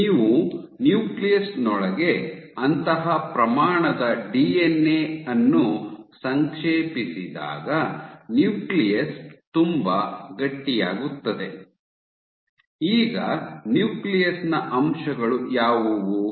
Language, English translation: Kannada, So, when you compact such amount of DNA within the nucleus, the nucleus becomes very stiff, now what are the constituents of the nucleus